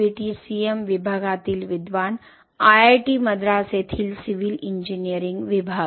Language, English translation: Marathi, scholar in BTCM division, civil engineering Department at IIT Madras